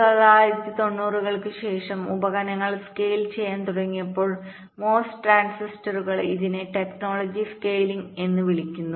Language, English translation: Malayalam, but subsequent to nineteen, nineties, when ah, the devices started to scale down the mos transistors this is called technology scaling